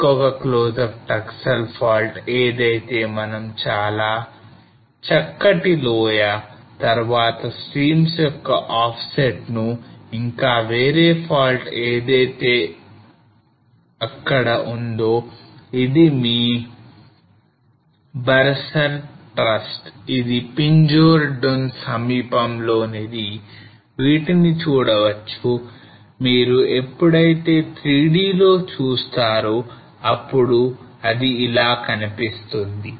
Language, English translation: Telugu, Another close up of that Taksal fault here where we can see a very straight valley and then offset of streams also and another fault which is lying here this is your Barsar thrust close to the Pinjore Dun and how it looks like when you look at the 3D